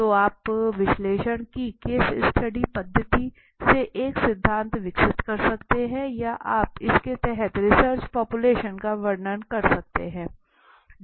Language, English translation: Hindi, So, you can develop a theory from a case study method of analysis or you can describe the population as I said